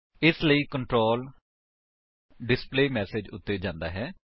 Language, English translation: Punjabi, Then the control goes back to the displayMessage